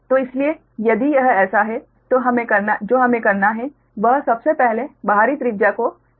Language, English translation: Hindi, so what we, what we have to do is, first the outside radius is given, so it is already given